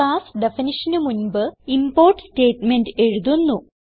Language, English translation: Malayalam, The import statement is written before the class definition